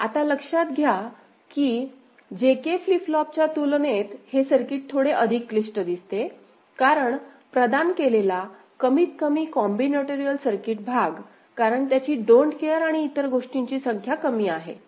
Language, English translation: Marathi, Now, to note that compared to JK flip flop, this circuit looks little bit more complicated; is not it because it provided, I mean at least the combinatorial circuit part, because it has got less number of don’t cares and other things